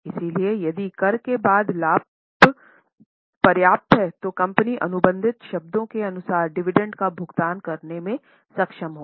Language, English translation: Hindi, So if the profit after tax is sufficient, the company will be able to pay the dividend as per the contracted terms